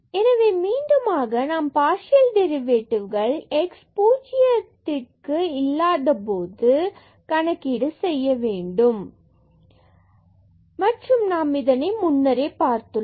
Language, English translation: Tamil, So, for that again we need to compute the partial derivative when x is not equal to 0 and we have to also get this we have already seen that this value is 0 and x is equal to 0